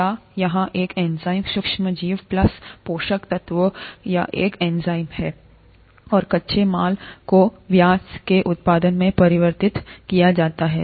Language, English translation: Hindi, Or an enzyme here, in the micro organism plus nutrients or an enzyme, and the raw material is converted into the product of interest